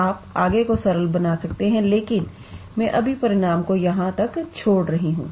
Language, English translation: Hindi, You can further simplify, but I am just leaving the result up to here